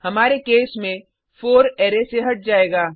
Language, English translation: Hindi, In our case, 4 will be removed from the Array